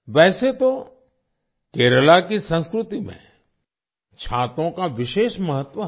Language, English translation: Hindi, In a way, umbrellas have a special significance in the culture of Kerala